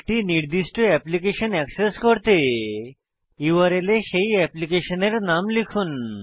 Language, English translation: Bengali, To access a particular application type that application name in the URL